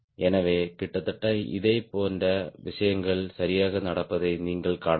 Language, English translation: Tamil, so you could see almost similar things are happening